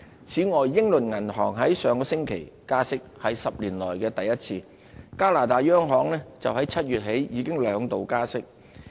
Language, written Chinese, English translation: Cantonese, 此外，英倫銀行在上星期加息，是10年來首次，加拿大央行自7月起已兩度加息。, Besides the Bank of England raised its Bank Rate last week the first rate hike in 10 years and the Bank of Canada has raised interest rates twice since July